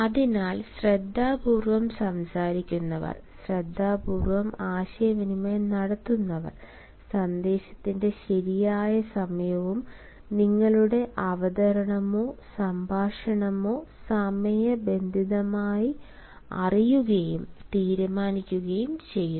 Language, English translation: Malayalam, hence careful speakers, careful communicators: they know and decide the proper timing of the message as well as the way your presentation or talk should be timed